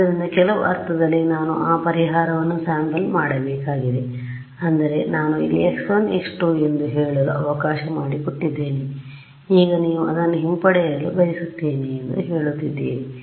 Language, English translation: Kannada, So, in some sense I have to down sample that solution I mean I have let us say x 1 x 2 here, now you are saying I want to retrieve this at a